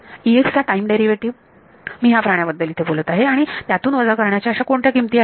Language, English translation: Marathi, Time derivative of E x that is I am talking about this guy over here and what are the values being subtracted